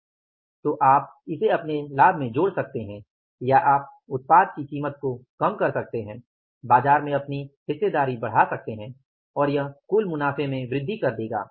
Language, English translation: Hindi, So, you can adapt that into your profitability or you can reduce the price of the product, increase your market share and thereby increasing your total profits